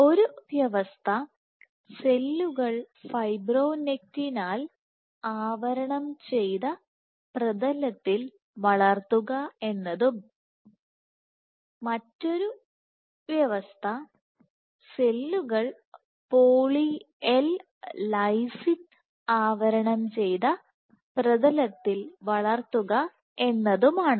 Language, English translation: Malayalam, So, one condition was cells cultured on fibronectin coated substrates and the other condition was cells cultured on poly L lysine coated substrates